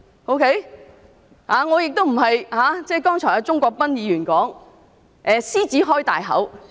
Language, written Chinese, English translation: Cantonese, 我並非如鍾國斌議員剛才說的"獅子開大口"。, Unlike what Mr CHUNG Kwok - pan said just now I am not making a voracious demand